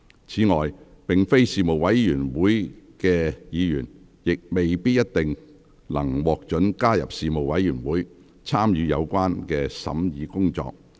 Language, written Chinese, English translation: Cantonese, 此外，並非事務委員會委員的議員，亦未必一定能獲准加入事務委員會，參與有關的審議工作。, Furthermore Members who are not members of the Panel may not necessarily be permitted to join the Panel and take part in the relevant scrutiny